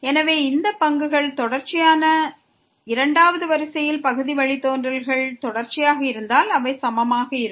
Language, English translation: Tamil, So, if these derivatives are continuous second order partial derivatives are continuous then they will be equal